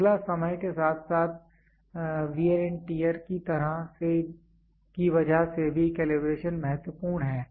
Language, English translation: Hindi, Next is over a period of time because of wear and tear also calibration is important